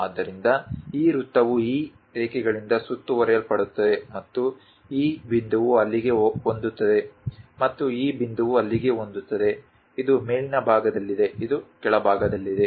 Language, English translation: Kannada, So, this circle will be bounded by these lines and this point matches there and this point matches there; this is on the top side, this is on the bottom side